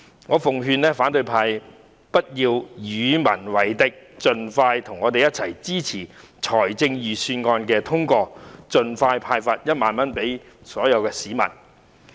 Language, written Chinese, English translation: Cantonese, 我奉勸反對派不要與民為敵，應和我們一起支持通過預算案，好能盡快向所有市民派發1萬元。, Let me advise the opposition camp not to act against the wish of the people; they should join us to support the passage of the Budget so that 10,000 can be disbursed to all members of the public as soon as possible